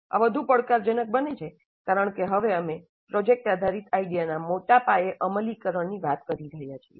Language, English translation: Gujarati, And this becomes more challenging because now we are talking of a large scale implementation of product based idea